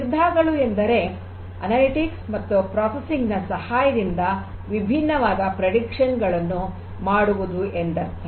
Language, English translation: Kannada, That means, decisions means that again analytics use of analytics and processing and these will help in making different predictions